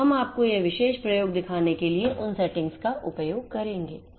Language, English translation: Hindi, So, we will be using those settings for showing you this particular experiment